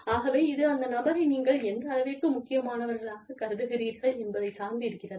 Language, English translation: Tamil, So, it just depends on the extent to which, you consider this person, important